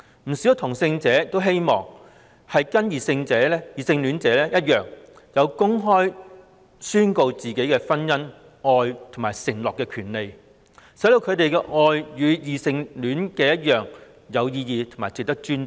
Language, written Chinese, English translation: Cantonese, 不少同性戀者均希望能與異性戀者一樣，享有公開宣告婚姻、愛和承諾的權利，讓他們的愛與異性戀者一樣來得有意義及值得尊重。, Many homosexual people hope that they can enjoy the same rights as their heterosexual counterparts do to declare their love and make their marriage vows openly so that their love relationships are equally meaningful and respectable as those of heterosexual people